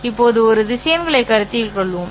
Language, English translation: Tamil, Now let us consider a set of vectors